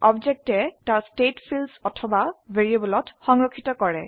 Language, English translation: Assamese, Object stores its state in fields or variables